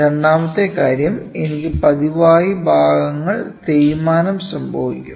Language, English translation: Malayalam, Second thing is I frequently have a wear and tear of parts